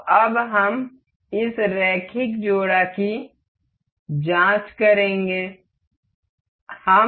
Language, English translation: Hindi, So, now, we will check this linear coupler